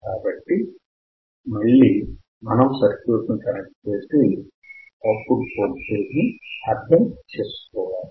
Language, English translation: Telugu, So, again we need to connect the circuit and understand the output voltage